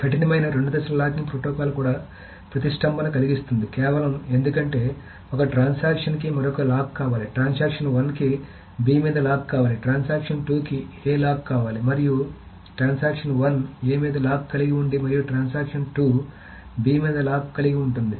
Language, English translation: Telugu, So, by the way, rigorous two phase locking protocol can also deadlock because simply because one transaction wants another lock, the transaction one wants a lock on B, while transaction 2 wants a lock on A and transaction 2 holds the locks on B